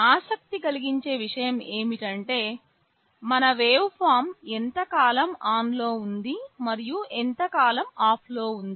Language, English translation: Telugu, The matter of interest is that for how long our waveform is ON and for how long it is OFF